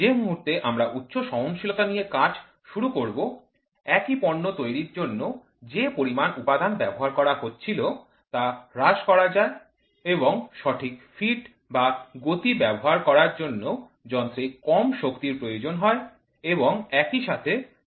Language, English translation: Bengali, Moment we start working on tighter tolerances, the amount of material which is consumed for making the same product can be reduced and the proper feeds or speeds can be set on machines for the power goes down and also the expenditure of time and labour also goes down